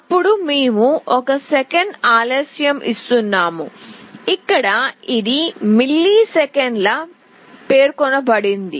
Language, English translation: Telugu, Then we are giving a delay of one second, here it is specified in millisecond